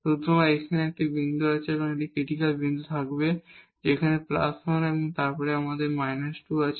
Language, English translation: Bengali, So, here there is a point where there will be a critical point, again here the plus 1 and then we have a minus 2